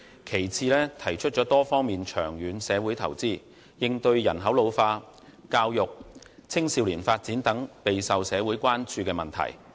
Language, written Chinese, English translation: Cantonese, 其次，他提出作多方面長遠社會投資，應對人口老化、教育、青少年發展等備受社會關注的問題。, Secondly he proposes to make long - term social investment in multiple respects to respond to issues of great social concern such as the ageing population education youth development etc